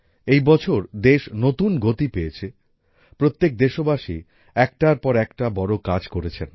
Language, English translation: Bengali, This year the country gained a new momentum, all the countrymen performed one better than the other